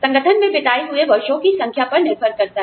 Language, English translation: Hindi, Depends on the number of years, we have served in the organization